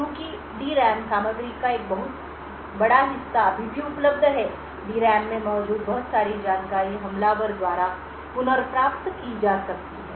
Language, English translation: Hindi, Since a large portion of the D RAM content is still available a lot of information present in the D RAM can be retrieved by the attacker